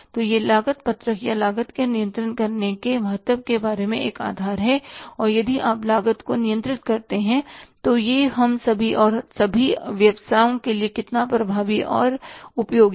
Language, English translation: Hindi, So, this is just a foundation about the cost sheet and the importance of the controlling the cost that if you control the cost, how effective and useful it is for all of us and for all the businesses and finally how to control the cost